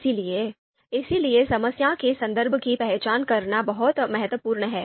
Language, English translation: Hindi, So therefore identifying the context of the problem is very important